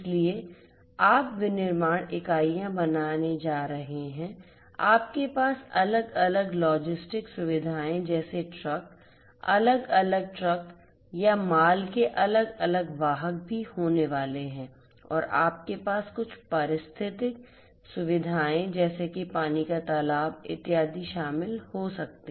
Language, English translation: Hindi, So, you are going to have manufacturing units, you are also going to have different logistic facilities such as trucks, different trucks or the different other carriers of goods and you could have maybe some ecological facilities such as water pond etcetera